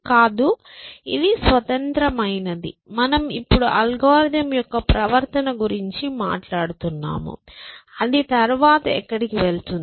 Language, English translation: Telugu, No, that we, that is the independent thing, we just now talking about the behavior of the algorithm, where will it go next